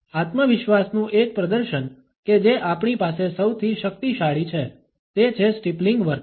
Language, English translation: Gujarati, One of the displays of confidence that we have the most powerful one is this, is the steepling behavior